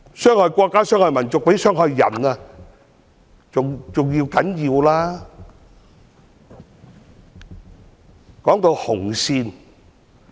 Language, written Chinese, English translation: Cantonese, 傷害國家、傷害民族，比傷害人更要不得。, Harming the country and the nation is more unacceptable than harming people